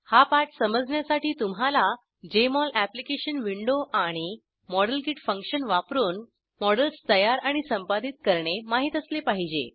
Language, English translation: Marathi, To follow this tutorial you should be familiar with Jmol Application Window and know to create and edit models using modelkit function